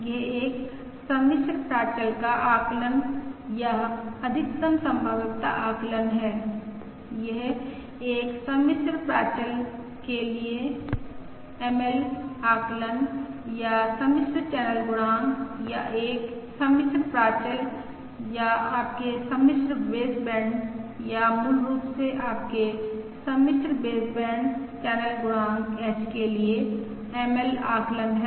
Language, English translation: Hindi, this is the ML estimate for a complex parameter or complex channel coefficient, or a complex parameter, or your complex baseband, or basically your complex baseband channel coefficient